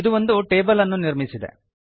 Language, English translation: Kannada, So it has created the table